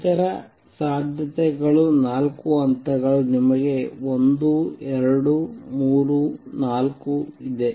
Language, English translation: Kannada, Other possibility is four levels, you have 1, 2, 3, 4